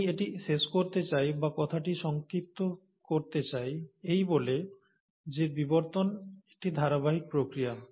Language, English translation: Bengali, So I would like to again, end this, or rather summarize this talk by saying that evolution is a continuous process